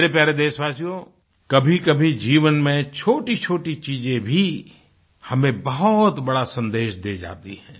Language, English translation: Hindi, My dear countrymen, there are times when mundane things in life enrich us with a great message